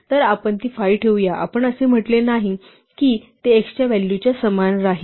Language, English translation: Marathi, So, let we make it 5; we did not say make it the same value was x forever hence forth